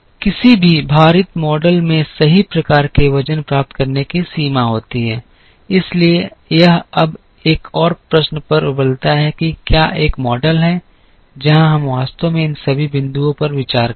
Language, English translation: Hindi, Any weighted model has the limitation of getting the right kind of weights, so it now boils down to another question is there a model where, we actually consider all these points